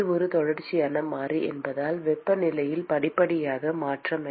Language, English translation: Tamil, Because it is a continuous variable, there has to be a gradual change in the temperature